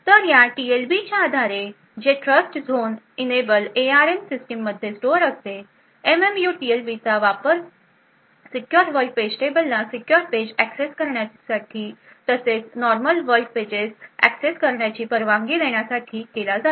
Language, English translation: Marathi, So, based on this TLB which is stored Trustzone enable ARM systems the MMU would be able to use the TLB to say permit a secure world page table to access secure pages as well as normal world pages